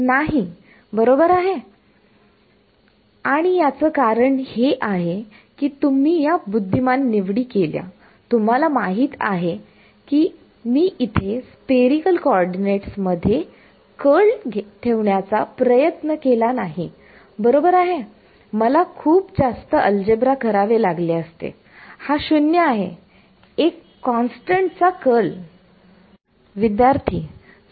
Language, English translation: Marathi, No, right and the reason is because you made these intelligent choices, here I did not go about you know trying to put in the curl in the spherical co ordinates right I would have I have to do lot more algebra this is 0 curl of a constant